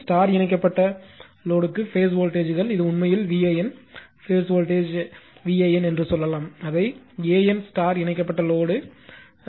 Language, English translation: Tamil, For star connected load, the phase voltages are this is actually v AN, we can say phase voltage v AN, we are making it capital AN right star connected load